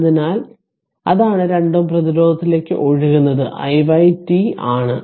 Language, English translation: Malayalam, So, that is the current flowing to 2 ohm resistance that is i y t